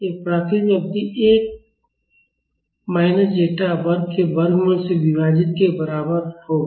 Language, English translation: Hindi, This will be equal to the natural period divided by square root of 1 minus zeta square